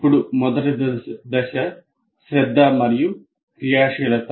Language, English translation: Telugu, Then the first stage is attention and activation